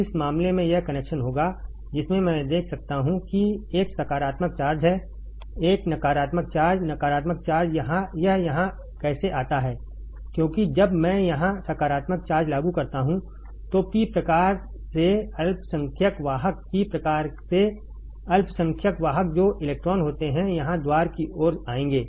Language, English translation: Hindi, , In this case this will be the connection, in which I can see that there is a positive charge there is a negative charge, negative charge, how it comes here because when I apply positive charge here then the minority carriers from P type, minority carriers from the P type that are electrons present that will come here towards the gate